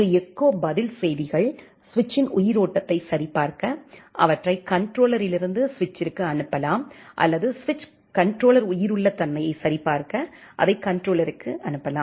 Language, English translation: Tamil, An echo reply messages, they can be sent from the controller to switch to check the aliveness of the switch or the switch can send it to the controller to check the aliveness of the controller